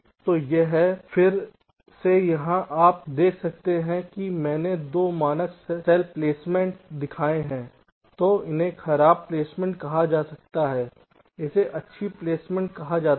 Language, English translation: Hindi, if you can see that i have shown two standard cell placements, this is so called bad placement and this is so called good placements